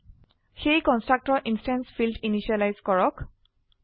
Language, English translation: Assamese, So the constructor initializes the instance field